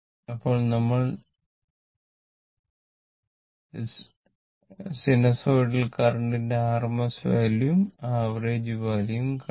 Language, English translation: Malayalam, So, now if you come to this average and RMS values of a sinusoidal voltage or a current